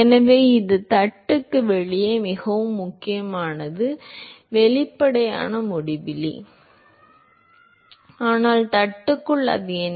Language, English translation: Tamil, So, this is very important outside the plate it is; obviously, uinfinity, but inside the plate what is it